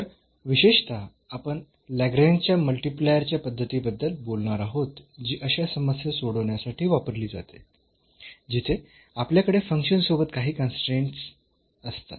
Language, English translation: Marathi, So, in particular we will be talking about the method of a Lagrange’s multiplier which is used to solve such problems, where we have along with the function some constraints